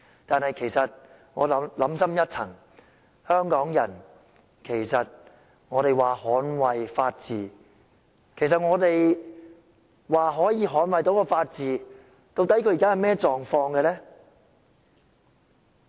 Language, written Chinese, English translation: Cantonese, 然而，想深一層，香港人說捍衞法治，其實我們可以捍衞的法治現時的狀況究竟是怎樣呢？, Nonetheless in a deeper sense Hong Kong people say they have to defend the rule of law but indeed what is the current status of the rule of law which we can defend?